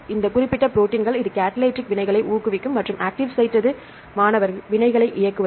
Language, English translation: Tamil, Yeah these specific proteins, which catalyze reactions and the active what is active site